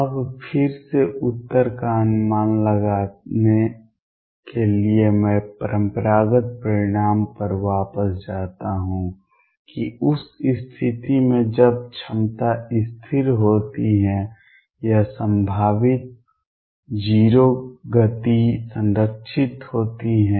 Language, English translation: Hindi, Now to anticipate the answer again I go back to the classical result that in the case when the potential is constant or potential is 0 momentum is conserved